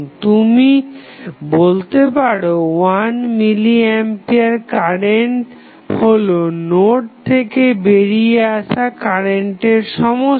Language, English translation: Bengali, So, what you can say you can say 1 milli ampere is nothing but the sum of current going outside the node